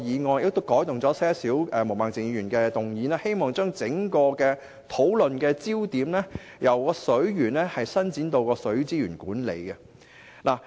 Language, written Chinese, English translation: Cantonese, 我亦藉着稍稍更改毛孟靜議員所提議案的內容，希望把整個討論焦點由水源，伸展至水資源管理。, By making minor amendments to Ms Claudia MOs motion I wish to broaden the scope of discussion from water resources to water resources management